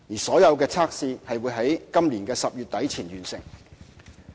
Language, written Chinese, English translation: Cantonese, 所有測試會於今年10月底前完成。, All tests will be completed by the end of October this year